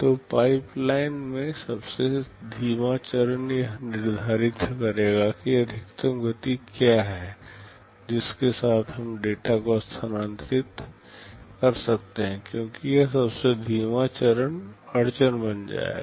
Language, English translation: Hindi, So, the slowest stage in the pipeline will determine what is the maximum speed with which we can shift the data, because this slowest stage will be become the bottleneck